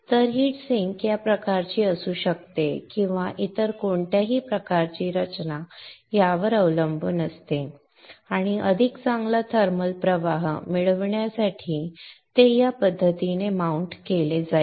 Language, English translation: Marathi, So the heat sink can be of this type like or any other type depends upon the design and one will mount it in this fashion to get a better thermal flow